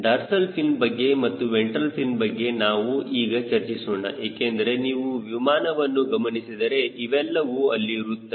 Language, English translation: Kannada, dorsal fin am will talk about ventral fin also, because you see an aircraft, you will find these things are there